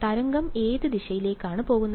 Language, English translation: Malayalam, Wave is going in which direction